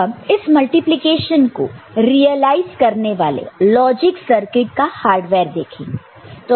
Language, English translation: Hindi, Now, if we look at the hardware or the logic circuit for realization of this multiplication